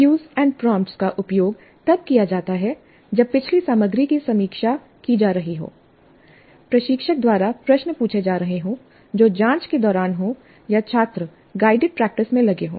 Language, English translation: Hindi, Cues and prompts are used when the previous material is being reviewed, questions are being asked by the instructor that is during probing, or students are engaged in guided practice